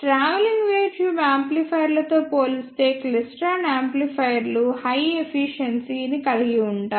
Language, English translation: Telugu, And the klystron amplifiers have higher efficiency as compared to the travelling wave tube amplifiers